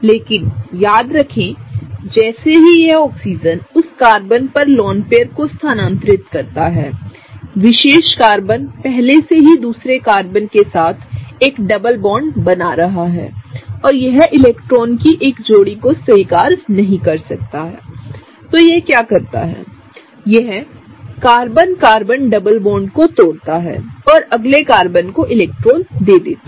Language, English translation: Hindi, But remember that as this Oxygen shifts the lone pair on that Carbon, that particular Carbon is already forming a double bond with the other Carbon and it cannot just accept a pair of electrons; what it does is, it breaks the Carbon Carbon double bond and gives the electrons to the next Carbon